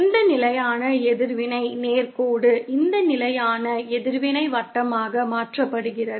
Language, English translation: Tamil, This constant reactance straight line is converted to this constant reactance circle